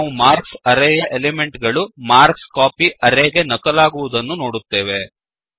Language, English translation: Kannada, We see that the elements of the array marks have been copied to the array marksCopy